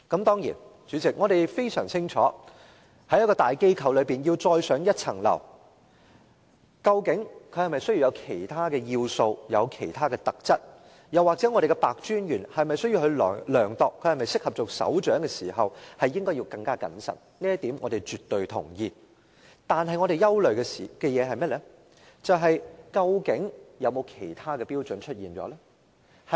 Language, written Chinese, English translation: Cantonese, 當然，代理主席，我們非常清楚在大機構中要再上一層樓，究竟是否需要其他要素和其他特質，又或白專員在衡量她是否適合擔任首長時應該更謹慎，這點我們絕對同意，但我們憂慮的是，究竟有否其他標準出現呢？, Deputy President we are certainly well aware that it takes other criteria and attributes for one to scale new heights in a large organization . We also agree that ICAC Commissioner Simon PEH should be prudent in assessing whether she was suitable to take up the post of Head of Operations . We absolutely agree to these points